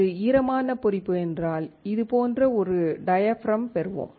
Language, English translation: Tamil, If it is wet etching, we will obtain a diaphragm which looks like this